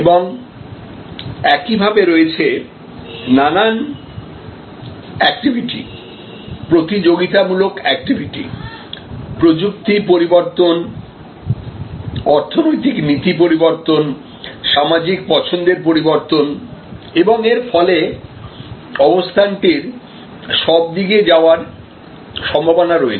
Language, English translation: Bengali, And similarly, there are activities, competitive activities, technology changes, economic policy changes, social preference changes and so on, as a result of which this also has possibilities of moving in all kinds of directions